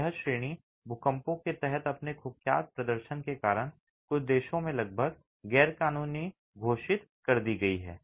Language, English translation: Hindi, This category because of its notoriously poor performance under earthquakes has been almost outlawed in a few countries